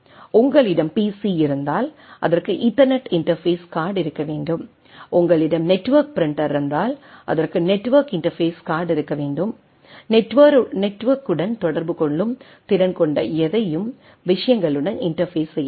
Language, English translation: Tamil, What we see that if you have a pc it should have a Ethernet interface card, if you have a network printer it should have a network interface card, anything which has a capability to communicate with the network has to have some way interfacing with the things